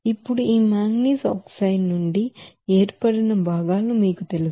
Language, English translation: Telugu, Now these are the you know components which are formed from this manganese oxide